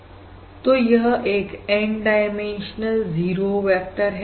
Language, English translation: Hindi, so this is the N dimensional 0 vector And this is fairly natural